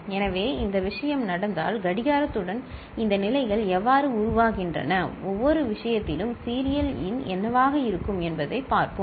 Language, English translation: Tamil, So, if this thing happens, then let us see how the with clock, these states will evolve and what will be the serial in in each case